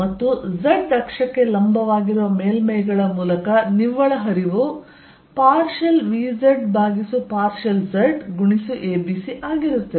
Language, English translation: Kannada, And net flow through surfaces perpendicular to the z axis is going to be partial v z over partially z a b c